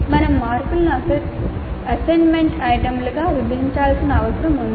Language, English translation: Telugu, So that is the reason why we need to split the marks into assessment items